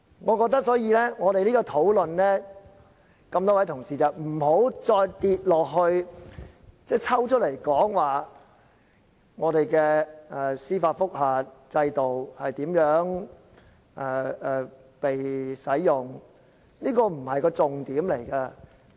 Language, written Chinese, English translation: Cantonese, 我覺得這次我們辯論，各位同事不要只集中討論我們的司法覆核制度如何被使用，這不是重點。, In this debate I think that the colleagues should not focus only on how our judicial review system is being used